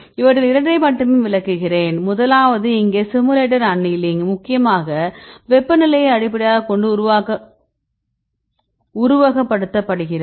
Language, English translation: Tamil, So, I will explain only two of them, first one is simulated annealing here it is mainly based on temperature